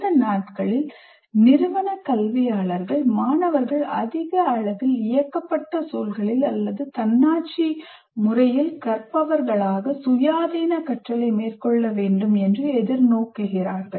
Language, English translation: Tamil, And these days, institutional educators require students to undertake independent learning in increasingly less directed environments or autonomous learners